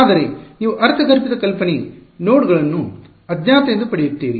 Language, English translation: Kannada, But you get the intuitive idea nodes are the unknowns